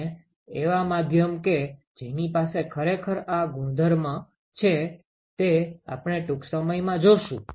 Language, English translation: Gujarati, And there are media which actually has this property and we will see that in a short while